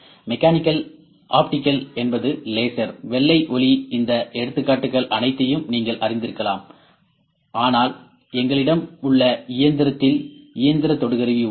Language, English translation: Tamil, Mechanical optical is like you know laser, white light all these examples, but probe we have here in our machine is the mechanical probe ok